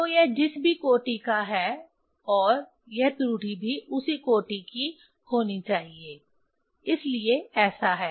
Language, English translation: Hindi, So, it is a whatever order of this one and this error it has to be of same order, so that is why this